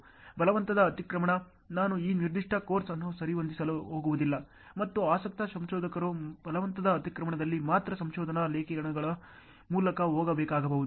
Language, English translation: Kannada, Forced overlap, I am not going to cover in this particular course ok and interested researchers you may have to go through research articles only on forced overlap